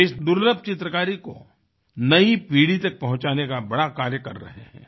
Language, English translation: Hindi, He is doing a great job of extending this rare painting art form to the present generation